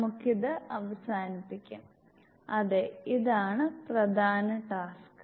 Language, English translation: Malayalam, We have to end this yeah this is a main task ok